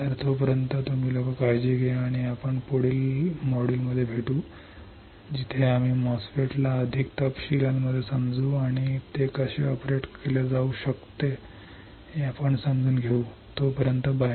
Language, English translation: Marathi, So, till then you guys take care and I will see you in the next module, where we understand the MOSFET in further details and understand how it can be operated till then you take care, bye